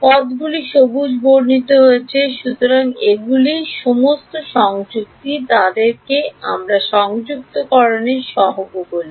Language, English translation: Bengali, The terms underlined in green, so they are all the coupling we call them the coupling coefficients